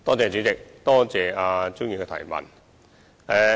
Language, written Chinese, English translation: Cantonese, 主席，多謝蔣議員的質詢。, President I thank Dr CHIANG for her question